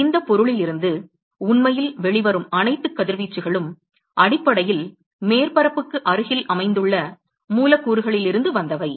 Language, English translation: Tamil, So, therefore, all the radiation that actually comes out of this object are essentially from the molecules which are located close to the surface